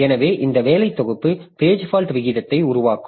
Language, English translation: Tamil, So, as a result, this page fault rate will increase